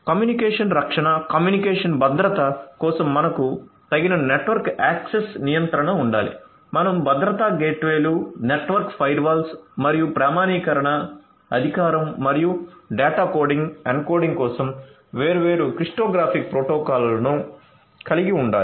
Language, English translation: Telugu, So, for communication protection, communication security you need to have suitable network access control you need to have security gateways, network firewalls and also different cryptographic protocols for authentication, authorization and data coding encoding